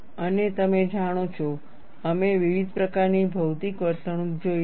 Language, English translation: Gujarati, And you know, we have seen different types of material behavior